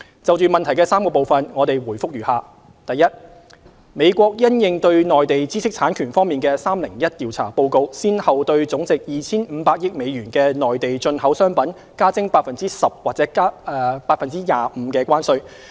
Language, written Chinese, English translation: Cantonese, 就質詢的3個部分，我們的回覆如下：一美國因應對內地知識產權方面的 "301 調查"報告先後對總值 2,500 億美元的內地進口商品加徵 10% 或 25% 的關稅。, Our replies to the three parts of the question are as follows 1 As a result of the Section 301 investigation report concerning the Mainlands intellectual property issues the United States has in tranches imposed additional tariffs at 10 % or 25 % on a total of US250 billion worth of Mainland imports